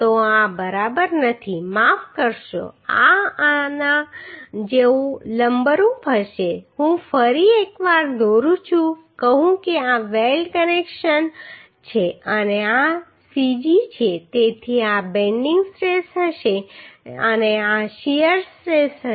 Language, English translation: Gujarati, So this is not exactly sorry this will be like this perpendicular to this I am drawing once again say this is the weld connection and this is the cg so this will be the bending stress and this will be the shear stress